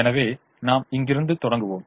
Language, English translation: Tamil, so let us start with this